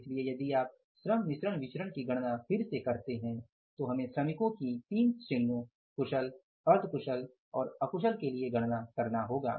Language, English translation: Hindi, So if you calculate the labor mix variance again we will have to calculate it in the light of say three categories of the workers skilled, semi skilled and unskilled